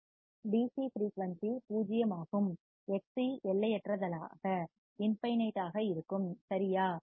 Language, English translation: Tamil, DC frequency is zero, Xc would be infinite right